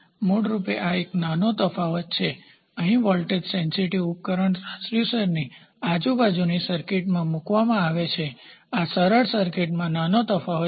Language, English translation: Gujarati, So, this basically this is a small variation here a voltage here a voltage sensitive device is placed across the transducer across the transducer in the circuit this is small variation to the simple circuit